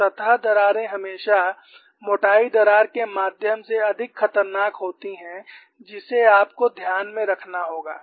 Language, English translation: Hindi, So, surface cracks are always more dangerous than through the thickness crack, that you have to keep in mind